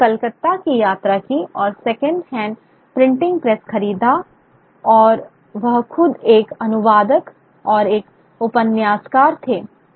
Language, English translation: Hindi, And these, so he traveled to Calcutta purchased a second hand printing press and he himself was a translator and a novelist